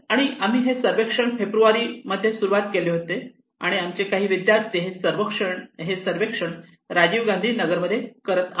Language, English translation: Marathi, And we started this survey in February and some of my students some of our students are conducting surveys in Rajiv Gandhi Nagar okay